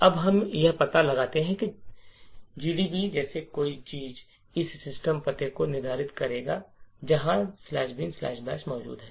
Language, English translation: Hindi, Now what we need to find out is by using, something like GDB we determine the exact address where slash bin slash bash is present